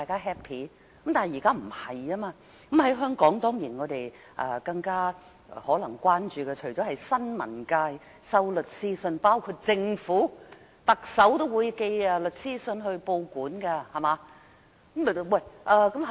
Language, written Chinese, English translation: Cantonese, 香港所關注的可能是新聞界收到律師信，包括來自政府、特首的律師信，特首也會寄律師信到報館。, What concerns Hong Kong people is probably the phenomenon of sending lawyers letters to the media including those sent from the Government and the Chief Executive . Even the Chief Executive has sent a lawyers letter to a newspaper company